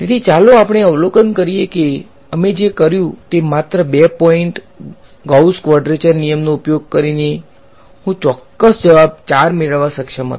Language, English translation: Gujarati, So, let us observe that what we did is by using only at 2 point Gauss quadrature rule, I was able to get the exact answer 4 right